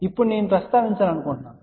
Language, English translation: Telugu, Now, I just want to mention